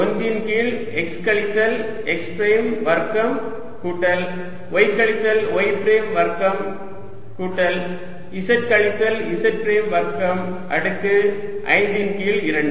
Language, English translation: Tamil, one over x minus x prime square, plus y minus y prime square, plus z minus z prime square, raise to five by two